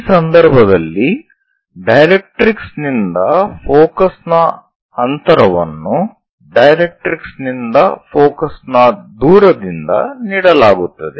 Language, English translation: Kannada, In this case, the distance of focus from the directrix will be given distance of focus from the directrix